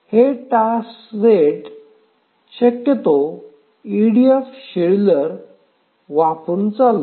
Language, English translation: Marathi, So, will this task set be feasibly run using an ADF scheduler